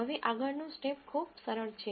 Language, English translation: Gujarati, Now the next step is very simple